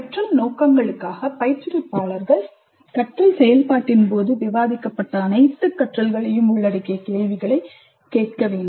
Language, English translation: Tamil, So, for the debriefing purposes, instructors must prepare questions to be asked covering all the learning that has been discussed during the learning activity